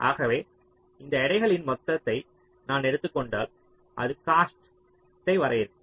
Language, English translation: Tamil, so if i take this sum of all the weights, that will define my cost